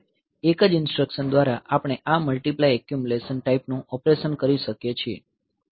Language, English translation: Gujarati, So, that by a single instruction we can do this multiply accumulate type of operation